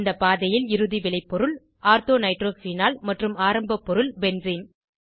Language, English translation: Tamil, In this pathway, the final product is Ortho nitrophenol and the starting material is Benzene